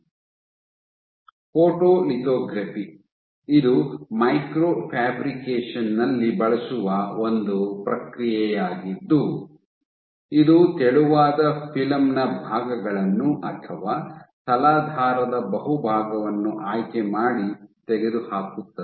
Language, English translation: Kannada, So, photolithography, this is a process used in micro fabrication which are to selectively remove parts of a thin film or the bulk of a substrate